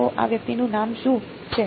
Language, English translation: Gujarati, So, what is this guy called